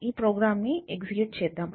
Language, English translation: Telugu, So, let us see the program